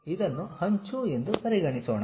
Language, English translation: Kannada, Let us consider this is the edge